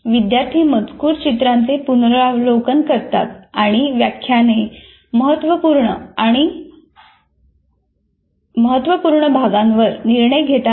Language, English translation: Marathi, Students review texts, illustrations and lectures deciding which portions are critical and important